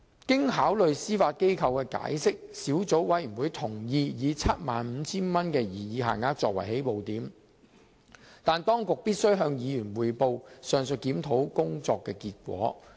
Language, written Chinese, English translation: Cantonese, 經考慮司法機構的解釋後，小組委員會同意以 75,000 元的擬議限額作為起步點，但當局必須向議員匯報上述檢討工作的結果。, After consideration of the Administrations explanation the Subcommittee agreed that the proposed 75,000 limit should be adopted as a start but the authorities should report to Members the outcome of the review mentioned